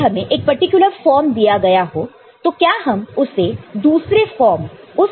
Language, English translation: Hindi, Now, given one particular form, can I get the other form out of it